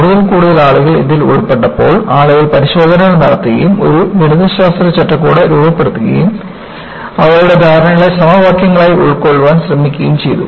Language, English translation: Malayalam, Once, more and more people get involved, people conduct tests and try to formulate a mathematical framework and try to capture there understanding as equations